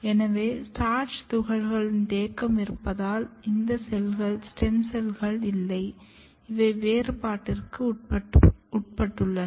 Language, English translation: Tamil, So, if you see this starch granule accumulation which means that these cells are not stem cells, but these cells are undergoing the differentiation